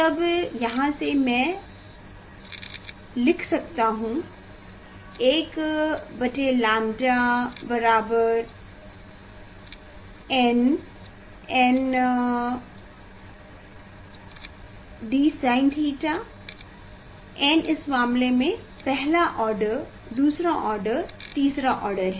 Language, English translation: Hindi, then from here I can write 1 by lambda equal to n by d sin theta n is the in this case it s the order first order second order third order